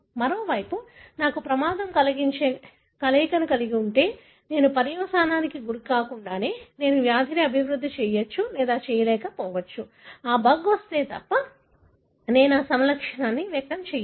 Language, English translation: Telugu, On the other hand, if I have a combination that gives me risk, so I may or may not develop disease until unless I am exposed to the environment; unless the bug comes, I am not going to express that phenotype